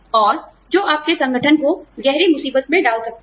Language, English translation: Hindi, And, that can get your organization, into deep trouble